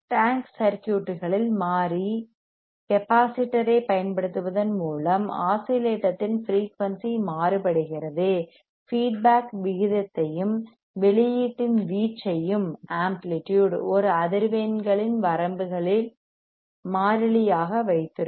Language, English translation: Tamil, tThe frequency of oscillator is varied by using the variable capacitor; in the tank circuit, keeping the feedback ratio and the amplifier amplitude of the cof theonstant; output constant for the frequency over a range of frequencies